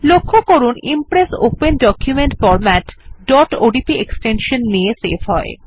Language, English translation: Bengali, Note that the Impress Open Document Format will be saved with the extension .odp